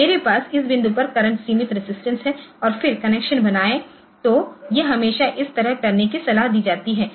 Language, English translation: Hindi, So, I have a current limiting resistance at this point and then make the connection ok